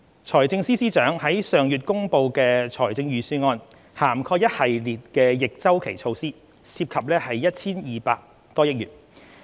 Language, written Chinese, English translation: Cantonese, 財政司司長上月公布的預算案涵蓋一系列逆周期措施，涉及 1,200 多億元。, The Budget announced by the Financial Secretary last month introduced a host of counter - cyclical measures costing over 120 billion